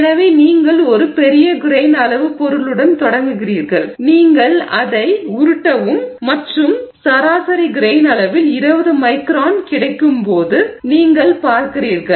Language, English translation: Tamil, So, you start with a large grain size material you roll it down and you see when you get 20 microns on average grain size